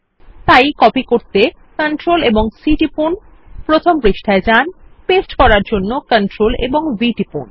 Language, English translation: Bengali, So Ctrl and Cto copy click on page one and Ctrl and V to paste